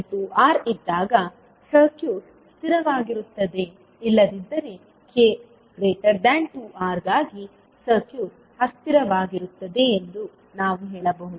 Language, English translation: Kannada, So what we can say that the circuit will be stable when k is less than 2R otherwise for K greater than 2R the circuit would be unstable